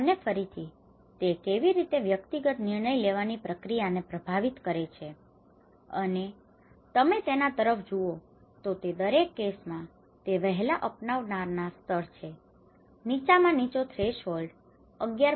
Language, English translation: Gujarati, And again, education; how it plays and it influences the individual decision making process and if you look at it in all the cases you know like we have the early adopter stage, the lowest threshold is about 11